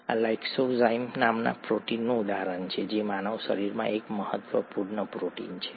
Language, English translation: Gujarati, This is an example of a protein called lysozyme which is an important protein in the human body